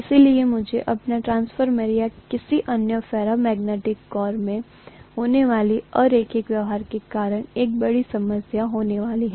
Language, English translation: Hindi, So I am going to have a big problem because of the nonlinear behavior that is happening in my transformer or any other ferromagnetic core